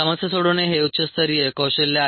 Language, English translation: Marathi, problem solving is a higher level skill